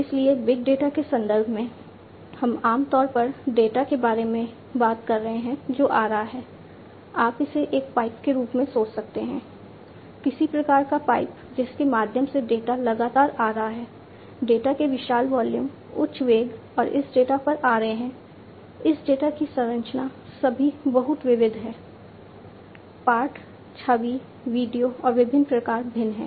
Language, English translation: Hindi, So, in big data context, we are typically talking about data, which is coming you can think of it as a pipe, some kind of a pipe through which data are coming continuously, huge volumes of data are coming at high velocities and this data the composition of this data are all very varied, text, image video and differ different types